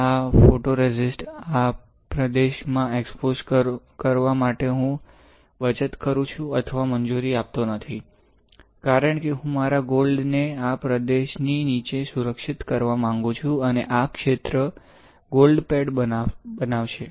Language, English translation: Gujarati, And I am saving or not allowing the photoresist to get exposed to this region; since I want to protect my gold below this region and this region will form the gold pad